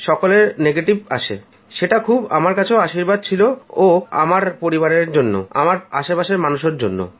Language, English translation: Bengali, The result was negative, which was the biggest blessing for us, for our family and all those around me